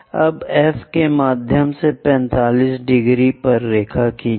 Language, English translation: Hindi, Now, through F, draw a line at 45 degrees